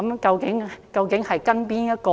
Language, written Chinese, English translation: Cantonese, 究竟應跟從哪一套？, Whose example should we follow?